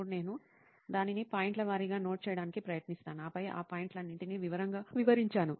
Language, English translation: Telugu, Then I try to note it down point wise and then explain all those points, each and every point in detail